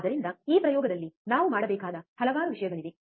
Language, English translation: Kannada, So, there are several things that we have to do in this experiment